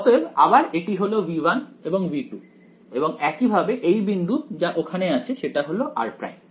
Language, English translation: Bengali, So, this is again V 1 and V 2 and so, this is my point over here that is r prime